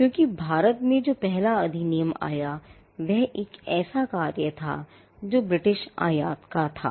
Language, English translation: Hindi, Because the first act that came around in India was an act that was of a British import